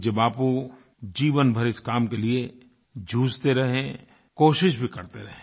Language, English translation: Hindi, Revered Bapu fought for this cause all through his life and made all out efforts